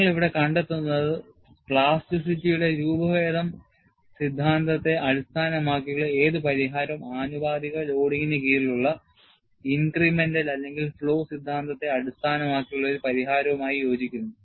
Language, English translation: Malayalam, And what you find here is, any solution based on the deformation theory of plasticity, coincides exactly with a solution based on the incremental or flow theory of plasticity, under proportional loading